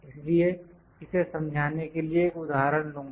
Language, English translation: Hindi, So, I will take an example to explain this